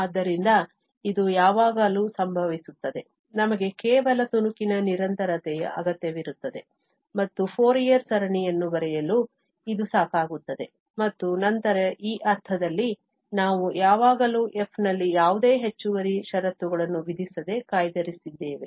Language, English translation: Kannada, So, this is always the case, we need only piecewise continuity and it is also sufficient for writing the Fourier series and then in this sense, we have always reserved without imposing any extra condition on f